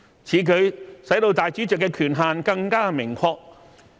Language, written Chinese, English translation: Cantonese, 此舉使主席的權限更為明確。, The power of the President can be more explicit under this amendment